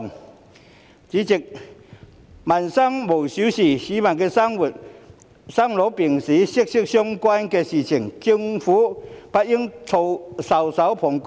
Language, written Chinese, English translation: Cantonese, 代理主席，民生無小事，與市民生老病死息息相關的事情，政府不應袖手旁觀。, Deputy President no livelihood issue is too trivial . The Government should not stand idly and do nothing about matters that are closely related to the life and death of the people